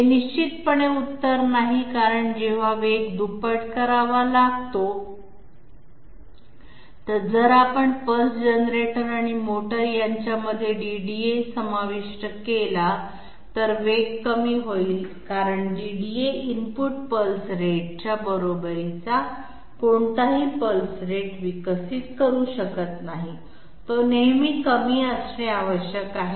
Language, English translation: Marathi, This is definitely not the answer because when speed has to be doubled, we include a DDA in between pulse generator and motor, speed will only be reduced because the DDA cannot develop any pulse rate equal to the input pulse rate, it always has to be less